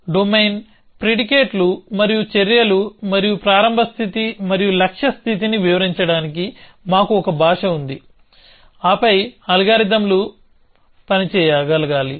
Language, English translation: Telugu, We have a language to describe the domain, the predicates and the actions, and the start state, and the goal state and then the algorithms should be able to operate